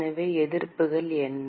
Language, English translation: Tamil, So, what are the resistances